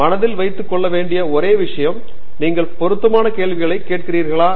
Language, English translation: Tamil, The only thing that is important to keep in mind is you ask relevant questions